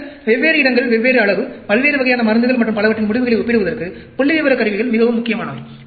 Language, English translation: Tamil, Then, statistical tools became very important for comparing results from different locations, different size, different types of drugs, and so on